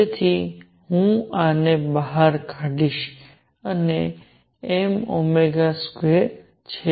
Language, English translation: Gujarati, So, I will take this out this is m omega square